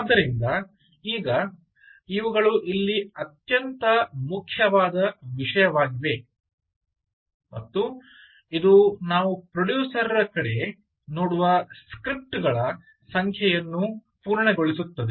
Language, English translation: Kannada, all right, so now these are the most important thing here and this completes the type of the number of scripts that we look up at the producer side